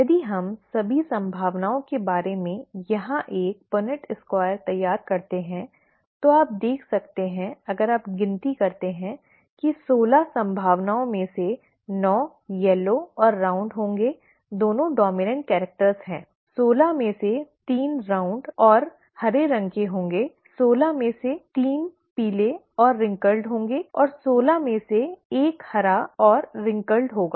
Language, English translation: Hindi, If we draw a Punnett Square here of all the possibilities, you can see if you count, that nine out of the sixteen possibilities would be yellow and round, both dominant characters; three out of sixteen would be round and green; three out of sixteen would be yellow and wrinkled and one out of sixteen would be green and wrinkled